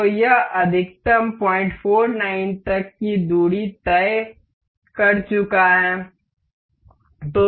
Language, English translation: Hindi, So, it has set up to a maximum distance up to 0